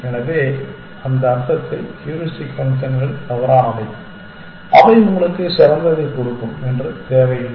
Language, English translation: Tamil, So, in that sense heuristic functions are fallible that is not necessary that they will give you the best thing